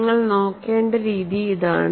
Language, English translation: Malayalam, That is the way we have to look at it